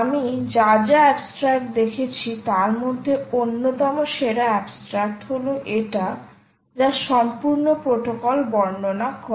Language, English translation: Bengali, the abstract is i would say one of the best abstracts i have ever seen, which describes the full protocol